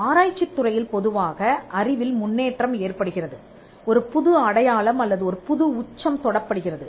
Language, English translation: Tamil, In research normally there is an advancement of knowledge, which now peaks a new mark or a new peak